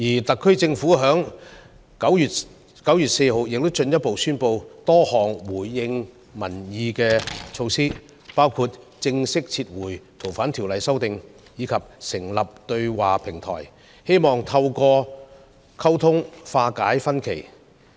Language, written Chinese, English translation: Cantonese, 特區政府在9月4日進一步宣布多項回應民意的措施，包括正式撤回《逃犯條例》的修訂建議，以及成立對話平台，希望透過溝通化解分歧。, The HKSAR Government further announced on 4 September a number of measures in response to public opinions including a formal withdrawal of the proposed amendments to the Fugitive Offenders Ordinance . A dialogue platform was established in the hope that differences could be resolved through communication